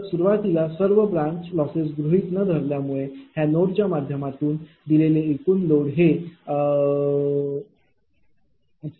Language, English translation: Marathi, So, initially loss of all the branches are neglected therefore, total load fed through this node will be P L 2 plus P L 3 plus P L 4 just repeating this